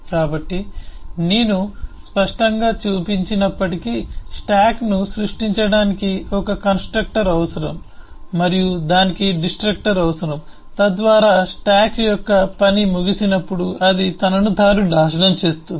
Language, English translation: Telugu, so, though I have not explicitly shown, a stack will need a constructor to create a stack and it will need a destructor so that it can destroy itself when the job of the stack is over